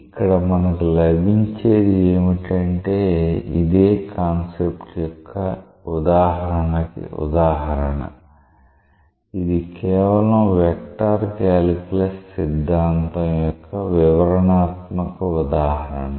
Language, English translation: Telugu, So, what we get from here this is an example of illustration of the same concept, this is just from a vector calculus theorem, this is just detailed illustration of that